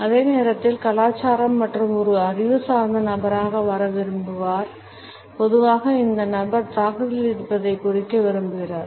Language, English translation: Tamil, And at the same time is rather culture and wants to come across as an intellectual person, in general wants to indicate that the person is in offensive